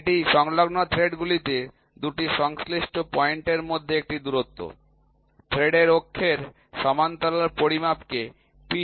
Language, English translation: Bengali, Pitch is the distance between 2 corresponding points on adjacent threads measured parallel to the axis of thread